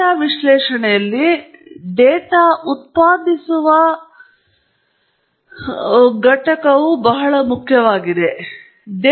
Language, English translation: Kannada, In data analysis, the data generating process is a very important entity